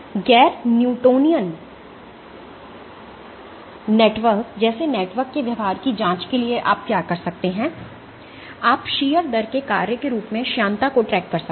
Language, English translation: Hindi, For probing the behavior of networks like non newtonian networks what you can do you can track the viscosity as a function of shear rate